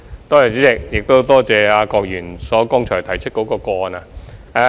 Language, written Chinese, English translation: Cantonese, 代理主席，多謝郭議員剛才提出的個案。, Deputy President I would like to thank Mr KWOK for bringing up such cases